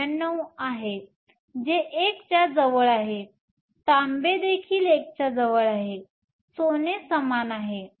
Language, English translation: Marathi, 99, which is close to 1; copper is also close to 1, gold is similar